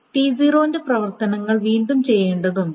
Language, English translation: Malayalam, So the operations of T0 need to be redone